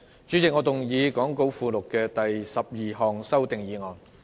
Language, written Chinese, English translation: Cantonese, 主席，我動議講稿附錄的第12項修訂議案。, President I move the 12 amending motion as set out in the Appendix to the Script